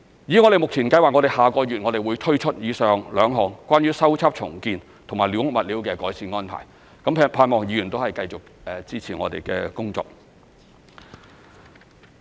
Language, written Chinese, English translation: Cantonese, 我們目前計劃於下個月推出以上兩項關於修葺/重建及寮屋物料的改善安排，盼望議員繼續支持我們的工作。, We plan to roll out the above two improved arrangements concerning squatter repairrebuilding and building materials next month . We hope that Members can continue to support our work